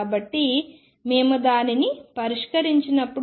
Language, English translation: Telugu, So, when we solve it